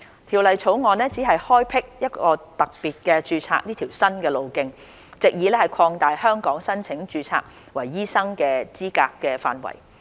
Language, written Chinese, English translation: Cantonese, 《條例草案》只開闢特別註冊這條新途徑，藉以擴大在香港申請註冊為醫生的資格範圍。, The Bill only introduces special registration as a new pathway thereby expanding the scope of qualified persons who may apply for registration as doctors in Hong Kong